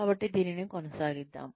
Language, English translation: Telugu, So, let us, get on with this